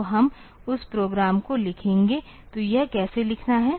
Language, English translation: Hindi, So, we will write that program; so, how to write it